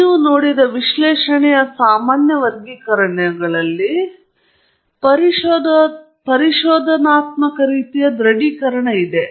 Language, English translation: Kannada, One of the common classifications of analysis that you see is exploratory verses confirmatory